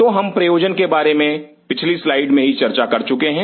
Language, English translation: Hindi, So, we have already talked about the purpose in the previous slide